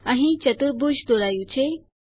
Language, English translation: Gujarati, Here a quadrilateral is drawn